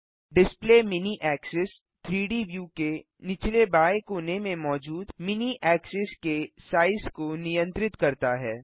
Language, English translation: Hindi, Display mini axis controls the size of the mini axis present at the bottom left corner of the 3D view